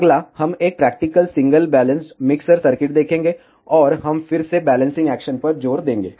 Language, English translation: Hindi, Next, we will see a practical single balanced mixer circuit, and we will again emphasis on the balancing action